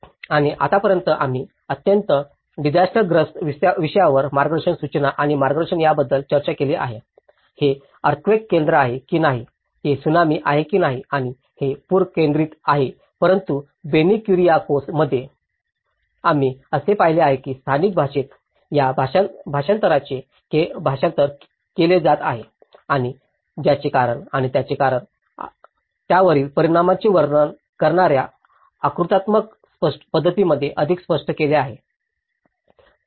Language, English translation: Marathi, And then till now, we have spoken about we have discussed our discussion about the giving the manuals and guidance from a very disaster focus, whether it is an earthquake focus, whether it is a tsunami focused and it is a flood focused but in Benny Kuriakose, we have observed that these are being translated in the local language which and illustrated more in a diagrammatic manner explaining the cause and the reason for it and the impact of it